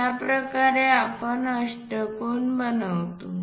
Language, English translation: Marathi, This is the way we construct an octagon